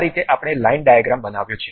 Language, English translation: Gujarati, This is the way we have constructed line diagrams